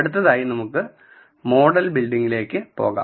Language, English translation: Malayalam, Now, let us go on to model building